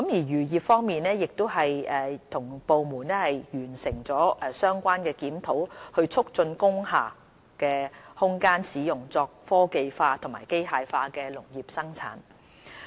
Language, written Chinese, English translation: Cantonese, 漁業方面，我們已與相關部門完成檢討，以促進工廈空間使用作科技化和機械化的農業生產。, Insofar as the fisheries industry is concerned we have together with the relevant departments completed the review on promoting the technology - enabled and mechanized agricultural production by making use of spaces in industrial buildings